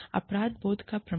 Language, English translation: Hindi, Proof of guilt